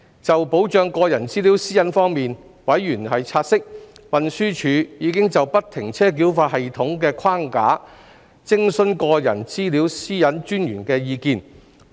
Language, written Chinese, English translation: Cantonese, 就保障個人資料私隱方面，委員察悉，運輸署已就不停車繳費系統的框架徵詢個人資料私隱專員的意見。, Concerning the protection of personal data privacy members have noted that TD consulted the Privacy Commissioner for Personal Data on the FFTS framework